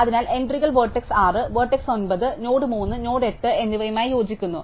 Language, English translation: Malayalam, So, the entries corresponds to vertex 6 and vertex 9 and node 3 and node 8, right